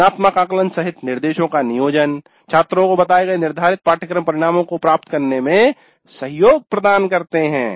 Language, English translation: Hindi, The instruction including formative assessments that facilitate the students to attain the stated course outcomes